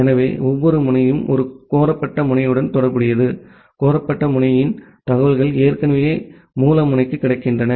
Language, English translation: Tamil, So, every node has associated with one solicitated node, the information of the solitcitated node is already available to the source node